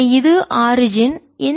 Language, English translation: Tamil, so this is the origin